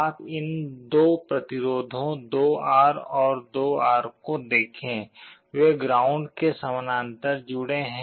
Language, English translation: Hindi, You see here these two resistances 2R and 2R, they are connected in parallel to ground